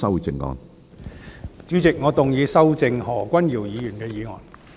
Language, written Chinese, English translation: Cantonese, 主席，我動議修正何君堯議員的議案。, President I move that Dr Junius HOs motion be amended